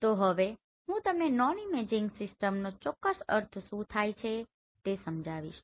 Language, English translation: Gujarati, So what exactly we mean by this non imaging system that I will explain you